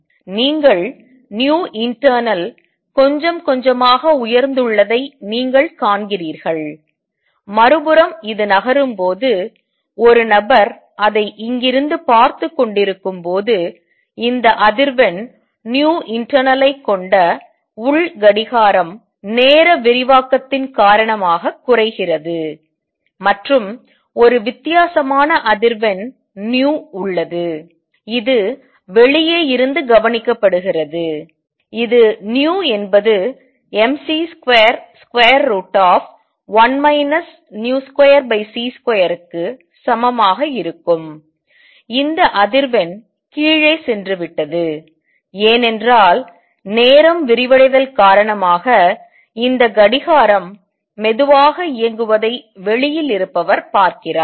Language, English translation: Tamil, You see nu internal has gone up a bit, on the other hand when this is moving and a person is watching it from here the internal clock that had this frequency nu internal slows down due to time dilation, and there is a different frequency nu which is observed from outside which is going to be equal to nu equals mc square root of 1 minus v square over c square over h, this frequency has gone down because the time dilation outside person sees this clock running slow